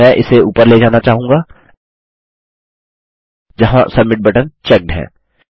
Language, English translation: Hindi, I want to take this up to just where the submit button is checked